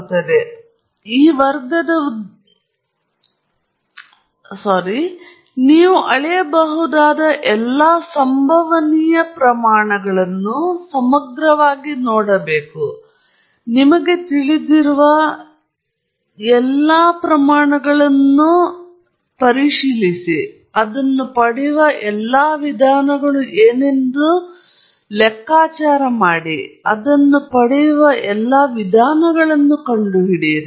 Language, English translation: Kannada, So, it is not the intent of this class to, you know, exhaustively look at all possible quantities that you can measure and, you know, figure out what all ways you can get it right or what all ways you can get it wrong